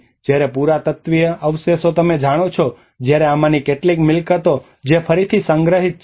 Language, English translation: Gujarati, And whereas the archaeological remains you know and whereas some of these properties which are restored back